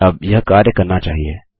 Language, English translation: Hindi, Now this should work